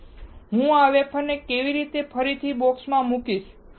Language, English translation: Gujarati, So, I will put this wafer back into the box